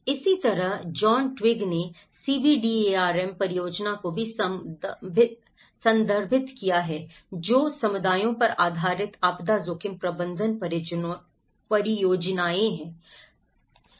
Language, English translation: Hindi, Similarly, John Twigg also refers to the CBDRM projects, which is the communities based disaster risk management projects